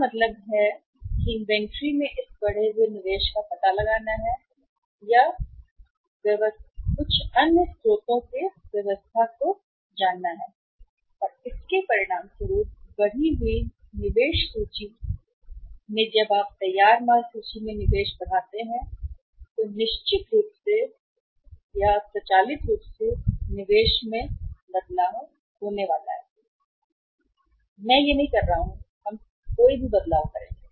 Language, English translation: Hindi, It means this increased investment in the inventory is to be found out or to be arranged from some other sources and as a result of that as a consequence of the increased investment inventory is when you increase the investment in the finished goods inventory certainly there is going to be a change in the investment, automatic, I am not saying that we will make any change